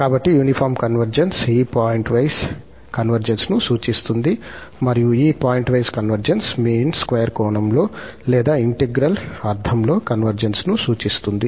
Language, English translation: Telugu, So, uniform convergence implies this pointwise convergence and this pointwise convergence implies convergence in the mean square sense or in the integral sense